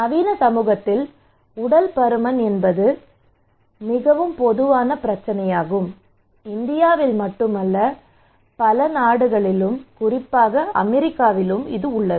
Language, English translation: Tamil, So obesity is a very common problem in modern society, okay not only in India but in many other countries especially in US